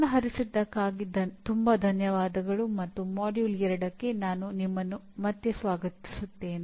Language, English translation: Kannada, Thank you very much for attention and I welcome you again to the Module 2